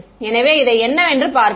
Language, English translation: Tamil, So, looking at this what